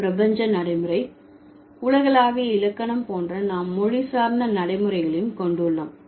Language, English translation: Tamil, So, besides the universal pragmatics, much like universal grammar, we also have language specific pragmatics